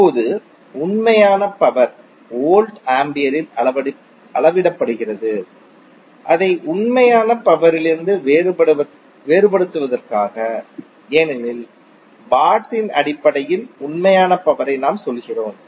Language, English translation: Tamil, Now the apparent power is measured in volts ampere just to distinguish it from the real power because we say real power in terms of watts